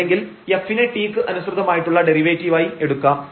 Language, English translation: Malayalam, And for function of 1 variable we can get the derivative here with respect to t